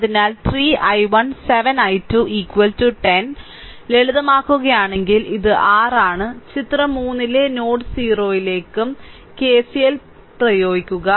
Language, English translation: Malayalam, So, this is your if you simplify 3 i 1 7 i 2 is equal to 10 apply KCL to node o in figure 3 gives this one